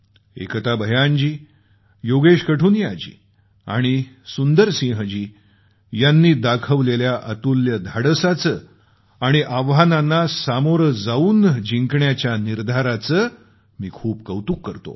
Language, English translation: Marathi, I salute Ekta Bhyanji, Yogesh Qathuniaji and Sundar Singh Ji, all of you for your fortitude and passion, and congratulate you